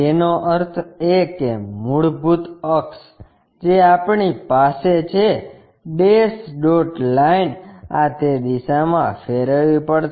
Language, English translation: Gujarati, That means, basically the axis what we are having, dash dot line this has to be rotated in that direction